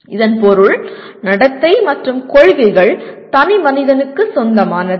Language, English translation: Tamil, It means the conduct and principles of action are owned by the individual